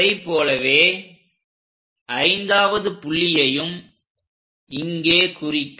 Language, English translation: Tamil, Similarly, fifth point make an arc here